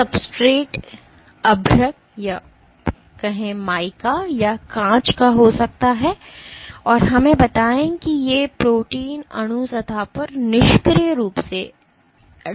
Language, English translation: Hindi, The substrate might be mica or glass and you have let us say these protein molecules are passively adsorbed onto the surface